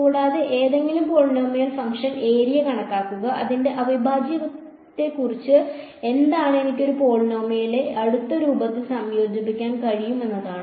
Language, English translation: Malayalam, And, then compute the area any polynomial function the advantage is that what about its integral, I can integrate a polynomial in close form right